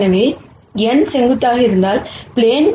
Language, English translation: Tamil, So, what does n being perpendicular to the plane mean